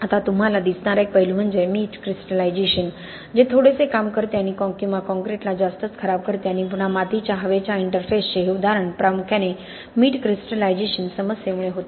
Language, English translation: Marathi, Now one aspect that you see in the field often is salt crystallization, which exerts a bits or deteriorates a concrete much further, okay and again this example of the soil air interface was primarily because of the salt crystallization problem